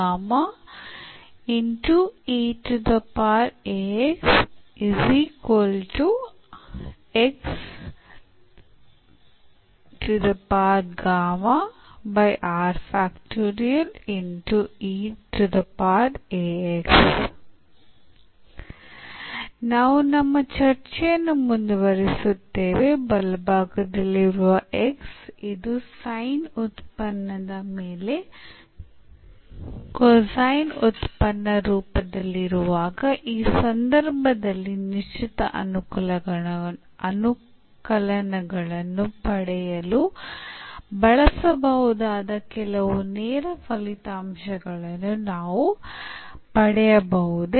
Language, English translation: Kannada, Now, we will discuss today we will continue our discussion that when x the right hand side is of the form the cosine function on the sin function in that case also can we derive some direct results which can be used to get the particular integrals